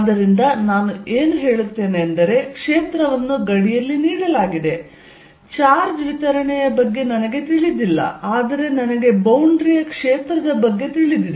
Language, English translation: Kannada, So, what I will say is, field given at a boundary I do not know about the charge distribution but I do know field about a boundary